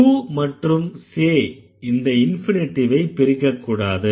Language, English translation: Tamil, So, to and say the infinitive will never be split